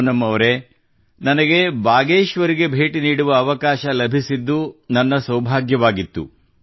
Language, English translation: Kannada, Poonam ji, I am fortunate to have got an opportunity to come to Bageshwar